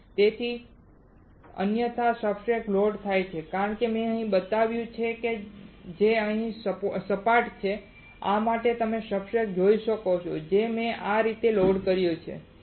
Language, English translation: Gujarati, So, that is why otherwise substrates are loaded as I have shown here which is flat here like this alright you can see substrate which I have loaded like this